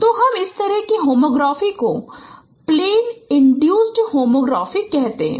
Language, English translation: Hindi, So we call this kind of homography is a plane induced homography